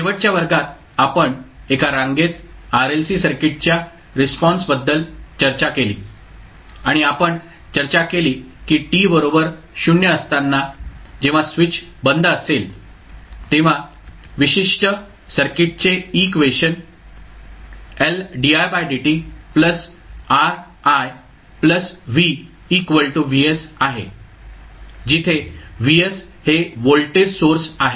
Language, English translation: Marathi, In the last class we discussed about the step response of a Series RLC Circuit and we discussed that at time t is equal to 0 when the switch is closed, the equation for the particular circuit is , where the Vs is the voltage source